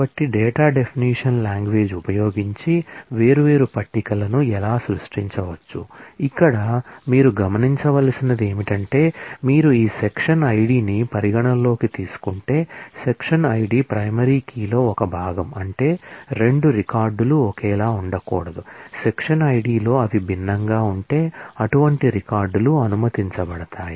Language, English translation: Telugu, So, this is how different tables can be created using the data definition language, here is a note that you should observe that if you consider this section ID, the section ID is a part of the primary key which means that 2 records cannot be same, if they are different in the section ID, then such records are allowed